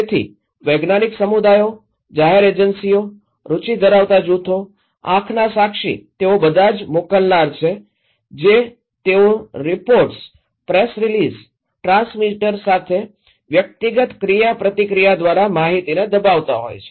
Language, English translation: Gujarati, So, scientific communities, public agencies, interest group, eye witness they are all senders they are pressing the informations through reports, press release, personal interactions to the transmitter